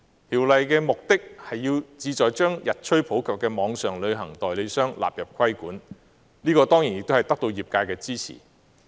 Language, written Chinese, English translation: Cantonese, 《條例草案》的目的，旨在將日趨普及的網上旅行代理商納入規管，這亦已獲得業界的支持。, The purpose of the Bill to bring the increasingly popular online travel agents under regulation is supported by the industry